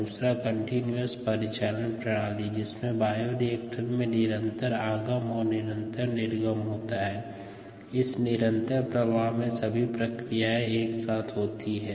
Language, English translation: Hindi, we also saw the continuous mode of operation where there is a continuous stream in and a continuous stream out of the bioreactor and the processes simultaneously take place